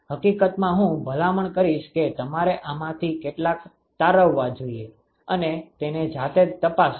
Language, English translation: Gujarati, In fact, I would recommend that you should derive some of these and check it by yourself